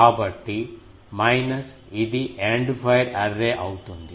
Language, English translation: Telugu, So, minus this is the End fire Array